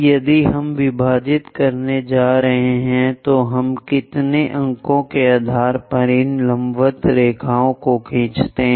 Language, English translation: Hindi, Based on how many points we are going to have if we are going to divide many more points drawing these vertical lines